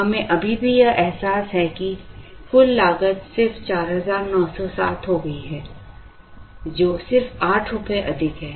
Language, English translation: Hindi, We still realize that, the total cost has just become 4907, which is somewhat like 8 rupees more than this